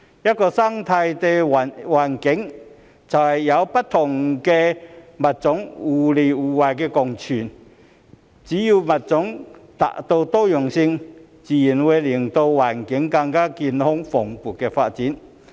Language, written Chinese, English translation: Cantonese, 一個生態環境，就是有不同的物種互惠互利共存，只要物種達到多樣性，自然會令環境更加健康蓬勃地發展。, Different species coexist for mutual benefit in an ecological environment . As long as there is species diversity the environment will naturally develop in a healthier and more vigorous manner